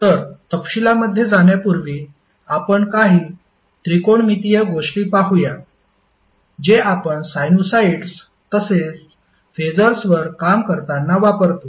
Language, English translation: Marathi, So, before going into the details, let's see a few of the technometric identities which you will keep on using while you work on sinosides as well as phaser